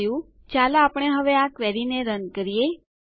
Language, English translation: Gujarati, Thats it, let us run this query now